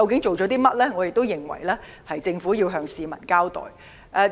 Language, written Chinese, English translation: Cantonese, 我們認為政府需要向市民交代。, We believe the Government needs to give an account to the people